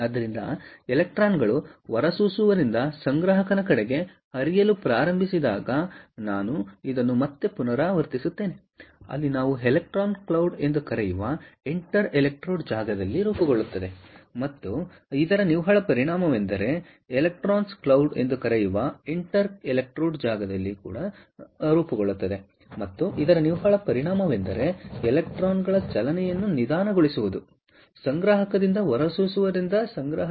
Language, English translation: Kannada, ok, so i repeat this again: as the electrons start flowing from the emitter towards the collector, there will electro, what we call an electron cloud that will form in the in inter electrode space, and the net effect of this is to slow down the movement of electrons from the collector, from the emitter, to the collector